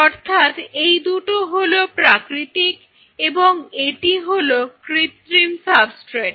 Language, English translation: Bengali, So, these 2 are the natural and this is the synthetic substrate